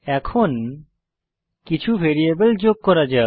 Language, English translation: Bengali, Let us add some variables